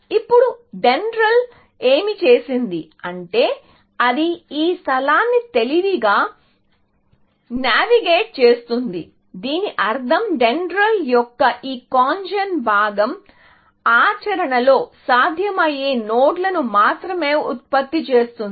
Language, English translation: Telugu, Now, what DENDRAL did is that it navigates this space intelligently, in the sense, that this CONGEN, component of DENDRAL, only generates those nodes, which are feasible in practice